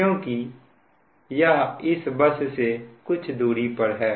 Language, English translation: Hindi, it is at some distance from bus one